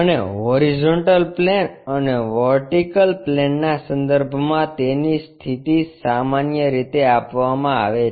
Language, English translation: Gujarati, And its position with respect to horizontal plane and vertical plane are given usually